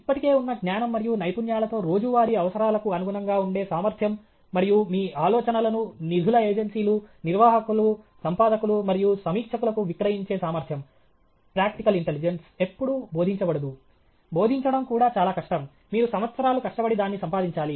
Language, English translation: Telugu, Ability to adapt to everyday needs with existing knowledge and skills, and ability to sell your ideas to funding agencies, managers, editors, and reviewers, practical intelligence is never taught, it’s also extremely difficult to teach; you have to acquire it over the years